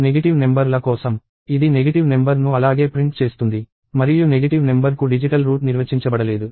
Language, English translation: Telugu, For negative numbers, it will print the negative number as it is; and digital root is not defined for negative number